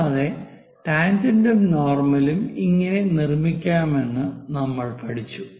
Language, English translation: Malayalam, Now, we will ask a question how to draw a tangent and normal to an ellipse